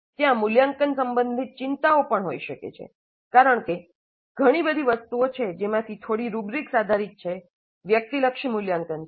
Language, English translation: Gujarati, Concerns regarding evaluation also may be there because there are lots of things which are little bit rubrics based subjective evaluations